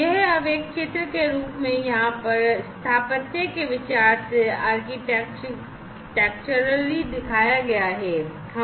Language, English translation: Hindi, So, this is now architecturally shown over here in the form of a picture